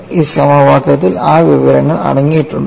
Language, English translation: Malayalam, Is that information contained in this equation